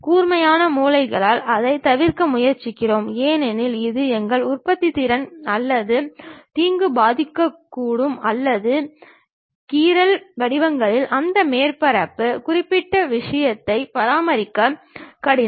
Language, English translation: Tamil, Because, the sharp corners we try to avoid it because, it might affect our productivity or harm or perhaps scratches forms are is difficult to maintain that surface particular thing